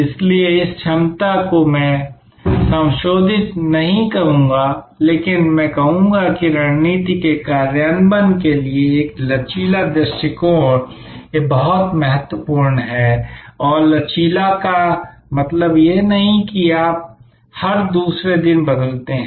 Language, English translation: Hindi, So, this ability to, I would not say modify, but I would say a flexible approach to strategy implementation is very important and flexible does not mean, that you change every other day